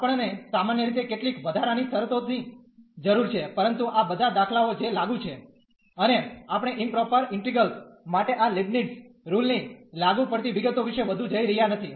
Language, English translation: Gujarati, We need some extra conditions in general, but all these examples that is applicable and we are not going much into the details about the applicability of this Leibnitz rule for improper integrals